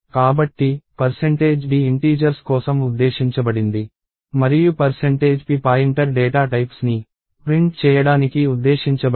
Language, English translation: Telugu, So, percentage d is meant for integers and percentage p is meant for printing the pointer data types